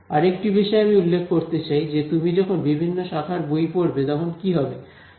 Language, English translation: Bengali, One other thing I want to mention which will happen to you when you read books from different disciplines